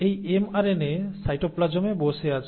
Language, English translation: Bengali, And now this mRNA is sitting in the cytoplasm